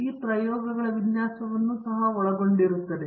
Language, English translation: Kannada, It also includes the design of experiments